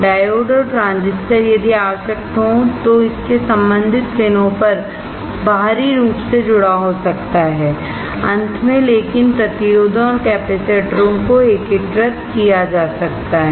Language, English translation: Hindi, Diodes and transistors, if required can be externally connected on to its corresponding pins finally; But resistors and capacitors can be integrated